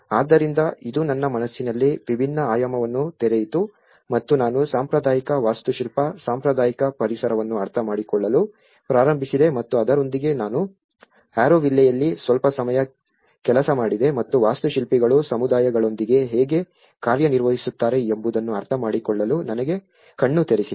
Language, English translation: Kannada, So, it opened a different dimension in my mind and I started looking at understanding the traditional Architecture, traditional environments and with that, I worked in Auroville for some time and that has given me an eye opener for me to understand how the architects works with the communities